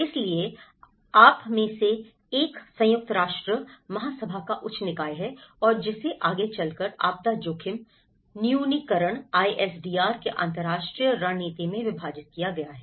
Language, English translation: Hindi, So, one is you have the higher body of the UN General Assembly and which is further divided into international strategy of disaster risk reduction ISDR